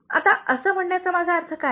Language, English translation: Marathi, Now, what do I mean by this